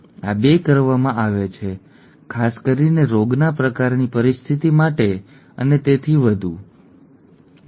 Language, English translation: Gujarati, These 2 are done, especially for disease kind of a situation and so on, okay